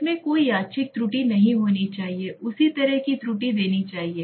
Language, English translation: Hindi, There should not be any random error it should be giving the same kind of error